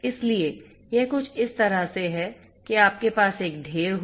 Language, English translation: Hindi, So, it is something like this that you know you have one stack